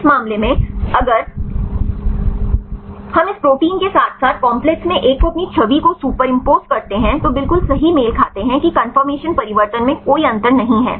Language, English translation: Hindi, In this case if we superimpose this protein as well as to one in the complex their image exactly match right there is no difference in the conformational change